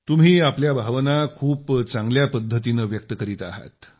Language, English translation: Marathi, You are expressing your sentiment very well